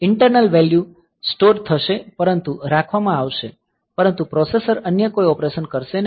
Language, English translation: Gujarati, So, the internal values will be stored, but will be held, but the processor will not do any other operation